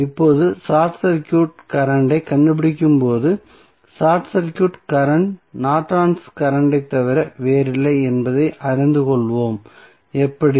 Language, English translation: Tamil, Now, when we find out the short circuit current we will come to know that short circuit current is nothing but the Norton's current, how